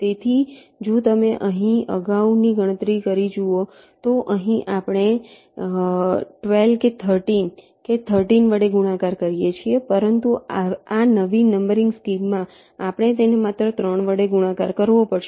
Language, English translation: Gujarati, so if you look at the previous calculation here here we are multiplying by twelfth or thirteen, thirteenth, but in this new numbering scheme